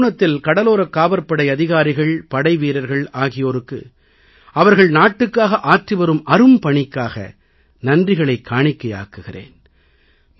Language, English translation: Tamil, On this occasion I extend my heartfelt gratitude to all the officers and jawans of Coast Guard for their service to the Nation